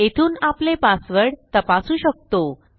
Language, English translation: Marathi, So from here on we can check our passwords